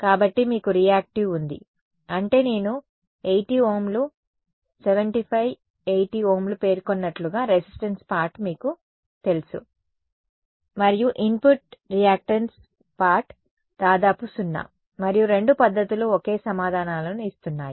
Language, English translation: Telugu, So, you have reactive I mean the resistance part is about you know as I mentioned 80 Ohms 75 80 Ohms, and the input the reactance part is almost exactly 0 and both methods are giving the same answers